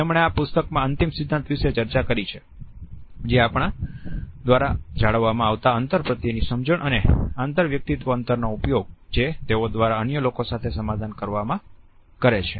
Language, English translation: Gujarati, He has put across in this book his seminal theory about our perception of a space and use of interpersonal distances to mediate their interactions with other people